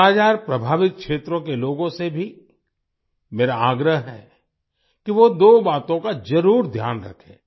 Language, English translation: Hindi, I also urge the people of 'Kala Azar' affected areas to keep two things in mind